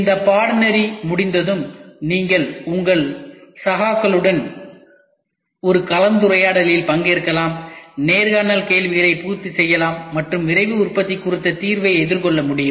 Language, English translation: Tamil, Upon completion of this course, you will be able to participate in a discussion with your peers, cater the interview questions and take an examination on Rapid Manufacturing